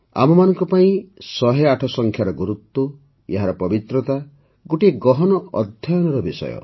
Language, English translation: Odia, For us the importance of the number 108 and its sanctity is a subject of deep study